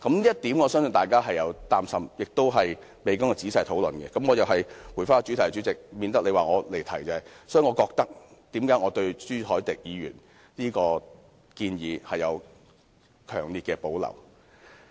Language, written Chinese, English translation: Cantonese, 就此，我相信大家會擔心，而且未經仔細討論——我又要回到主題，代理主席，以免你說我離題——所以我對朱凱廸議員這項建議有強烈的保留。, Since it is a point of concern I believe to us all and it has yet gone through detailed discussion―I have to come back to the question again Deputy President lest you consider me off the topic―I have strong reservations about Mr CHU Hoi - dicks proposal